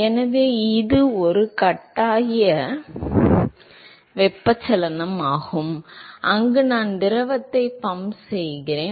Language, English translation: Tamil, So, it is a forced convection where I am pumping the fluid